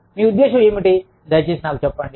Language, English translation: Telugu, What do you mean, please tell me